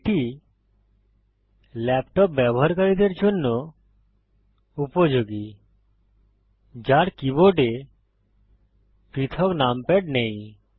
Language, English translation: Bengali, This is useful for laptop users, who dont have a separate numpad on the keyboard